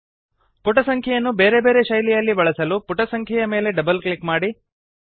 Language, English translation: Kannada, In order to give different styles to the page number, double click on the page number